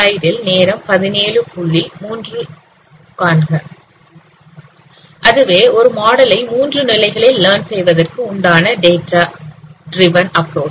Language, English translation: Tamil, So it is a data driven approach to learn the model in three steps